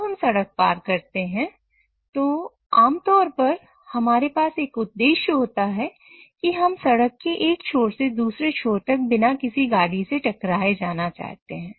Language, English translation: Hindi, So when we want to cross the road, we typically have an objective that we want to go from one end of the road to the other without getting hit by any vehicle, obviously